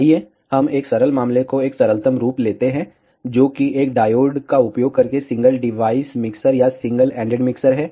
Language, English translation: Hindi, Let us take a simple case a simplest form, which is single device mixer or single ended mixer using a diode